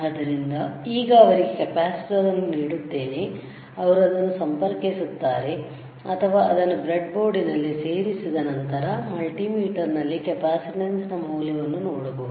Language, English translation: Kannada, So, I will give a capacitor to him he will connect it or he will insert it in the breadboard, and then you will see the value of the capacitance on the multimeter